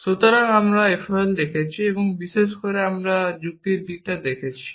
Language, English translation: Bengali, So, we are looking at FOL and in particularly we are looking at reasoning aspect